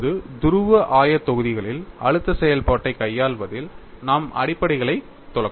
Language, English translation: Tamil, Now, let us brush up our fundamentals in handling stress function in polar coordinates